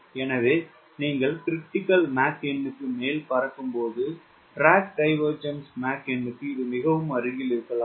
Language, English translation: Tamil, so when you are flying over critical mach number which may be very close to the drag divergence number, there is the shock wave